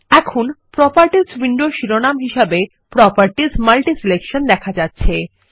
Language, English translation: Bengali, Now, the Properties window title reads as Properties MultiSelection